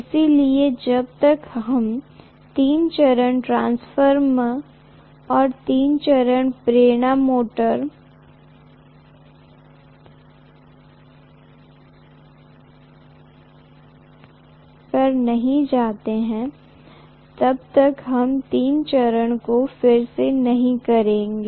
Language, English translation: Hindi, So we will not revisit three phase again until we go over to three phase transformer and three phase induction motor